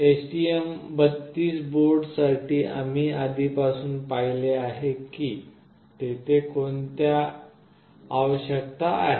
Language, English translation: Marathi, For STM32 board we have already seen what are the requirements that are there